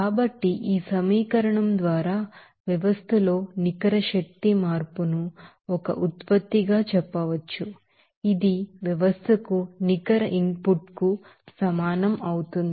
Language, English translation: Telugu, So, by this equation we can say that net change of energy in the system as an output that will be equals to net input to the system